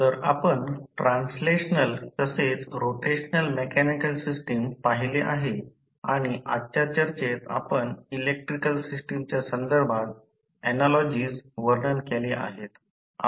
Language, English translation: Marathi, So, we have seen the translational as well as rotational mechanical system and we described the analogies with respect to the electrical system in today’s discussion